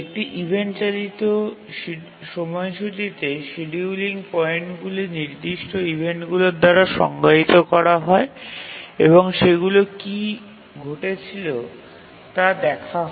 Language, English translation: Bengali, Whereas in an event driven scheduler, the scheduling points are defined by certain events and what are those events